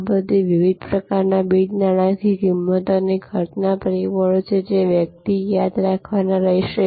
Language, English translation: Gujarati, These are all different types of non monitory price and cost factors, which one will have to remember